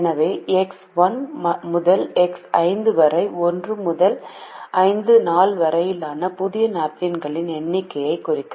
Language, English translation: Tamil, so x one to x five would represent the number of new napkins used in day one to five